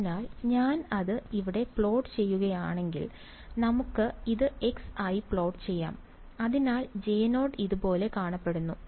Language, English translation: Malayalam, So, if I plot it over here; let us plot this as x, so J 0 looks something like this ok